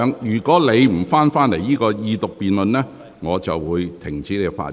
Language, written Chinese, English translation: Cantonese, 若你不返回這項二讀辯論的議題，我會停止你發言。, If you do not return to the subject of this Second Reading debate I will stop you from speaking